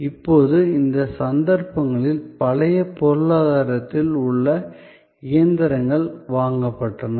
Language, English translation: Tamil, Now, in these cases, the machines in the old economy were purchased